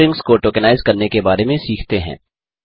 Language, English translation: Hindi, Let us learn about tokenizing strings